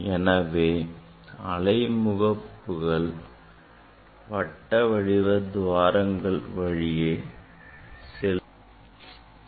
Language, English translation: Tamil, wave front will pass through this; through this circular aperture